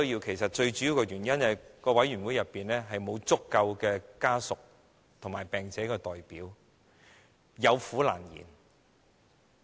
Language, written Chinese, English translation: Cantonese, 其實最主要的原因是，委員會內沒有足夠的病者和其家屬的代表，有苦難言。, In fact the major reason is the lack of representatives for the patients and their family members in PCFB to voice their grievances